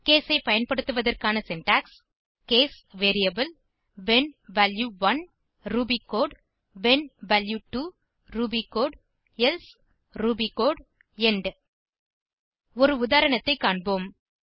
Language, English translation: Tamil, The syntax for using case is: case variable when value 1 ruby code when value 2 ruby code else ruby code end Let us look at an example